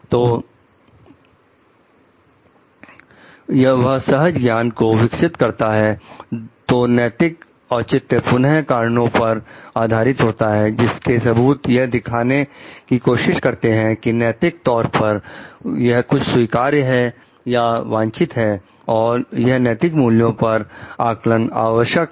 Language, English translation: Hindi, So, that develops the intuition, so ethical justification is again based on reasons, which evidence argument to demonstrate that something is ethically acceptable or desirable so and it is a necessary ethical value judgment